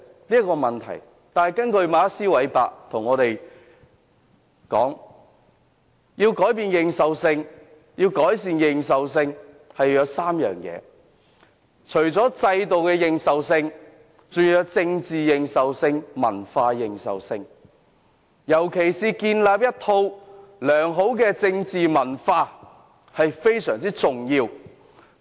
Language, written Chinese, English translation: Cantonese, 可是，根據馬克斯.韋伯所說，改善認受性要具備3項條件：制度認受性、政治認受性和文化認受性，而建立一套良好的政治文化尤其重要。, But according to Max WEBER the enhancement of legitimacy must be understood in the context of three aspects institutional legitimacy political legitimacy and cultural legitimacy . And the nurturing of a wholesome political culture is of particular importance